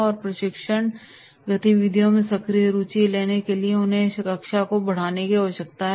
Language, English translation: Hindi, And exercise the need for taking active interest in training activities as well as enhance their learning